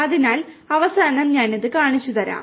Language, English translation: Malayalam, So, I will show you that at the end